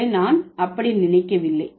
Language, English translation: Tamil, No, I don't think so